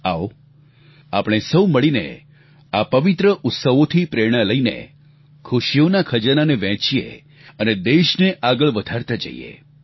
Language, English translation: Gujarati, Let us come together and take inspiration from these holy festivals and share their joyous treasures, and take the nation forward